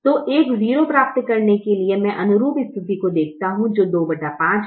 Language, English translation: Hindi, so to get a zero here i look at the corresponding position, which is two by five